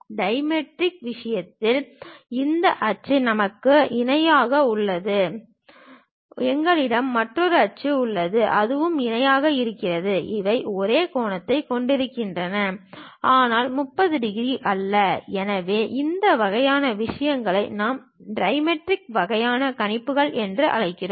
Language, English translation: Tamil, In the case of dimetric, we have this axis which is parallel; we have another axis that that is also parallel, these are having same angle, but not 30 degrees; so, this kind of things what we call dimetric kind of projections